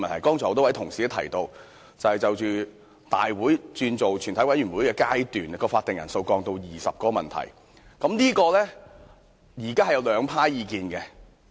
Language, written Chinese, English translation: Cantonese, 剛才很多同事提到，對於大會轉為全體委員會的階段時將會議法定人數降至20人的修訂，現時有兩派意見。, Many colleagues have stated just now that with regard to the amendment proposed to lower the quorum requirement of a committee of the whole Council to 20 Members including the Chairman there are actually two schools of thoughts